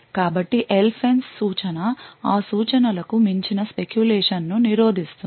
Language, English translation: Telugu, So, the LFENCE instruction would therefore prevent any speculation of beyond that instruction